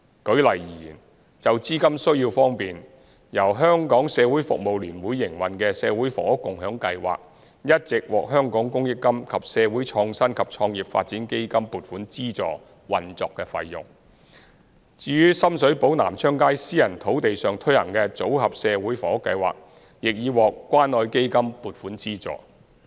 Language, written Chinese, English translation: Cantonese, 舉例而言，就資金需要方面，由社聯營運的社會房屋共享計劃一直獲香港公益金及社會創新及創業發展基金撥款資助運作費用。至於深水埗南昌街私人土地上推行的組合社會房屋計劃亦已獲關愛基金撥款資助。, For instance in terms of funding needs the operating cost of the Community Housing Movement operated by HKCSS has been supported by the Community Chest of Hong Kong and the Social Innovation and Entrepreneurship Development Fund while the Modular Social Housing Scheme on the private land on Nam Cheong Street in Sham Shui Po also has the funding support of the Community Care Fund